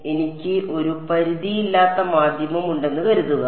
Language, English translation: Malayalam, So, suppose I have an unbound medium